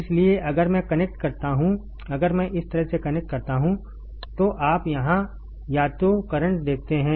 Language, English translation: Hindi, So, if I connect if I connect like this you see either current here right